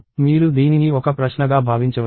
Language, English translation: Telugu, So, you can think of this as a question